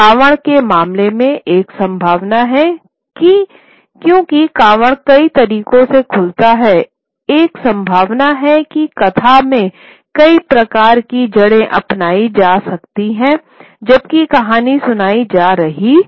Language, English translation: Hindi, In the case of the Carvard, there is a possibility that because the Carvard opens in multiple sorts of ways, there is a possibility that multiple sort of routes in the narrative could be adopted while telling the story